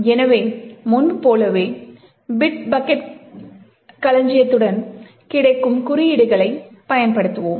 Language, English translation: Tamil, So as before we will be using the codes that is available with Bit Bucket repository